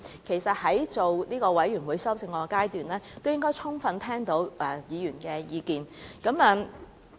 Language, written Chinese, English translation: Cantonese, 其實，政府在全體委員會審議階段，應該已經充分聽到委員的意見。, In fact the Government should have fully grasped Members views at the Committee stage